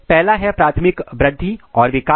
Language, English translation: Hindi, The first one is primary growth and development